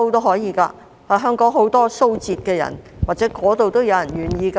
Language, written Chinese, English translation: Cantonese, 香港有很多蘇浙人，或許那裏也有人願意來港。, There are many people from Jiangsu and Zhejiang in Hong Kong perhaps people from these places are willing to come to Hong Kong